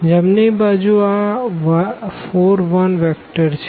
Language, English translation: Gujarati, The right hand side we have this vector 4 and 1